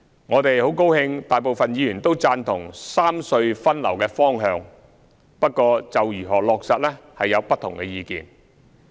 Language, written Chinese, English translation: Cantonese, 我們很高興大部分議員均贊同三隧分流的方向，不過就如何落實有不同意見。, We are pleased to see that most Members agree with the direction of rationalizing traffic distribution among the three RHCs but there are different views as regards the implementation